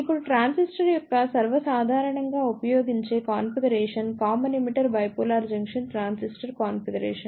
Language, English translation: Telugu, Now, the most commonly used configuration of the transistor is a Common Emitter Bipolar Junction Transistor Configuration